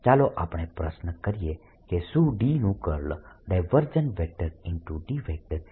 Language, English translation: Gujarati, lets ask a question: is divergence of or curl of d is zero